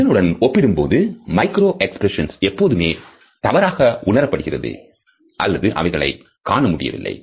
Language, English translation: Tamil, In comparison to that micro expressions are either often misinterpreted or missed altogether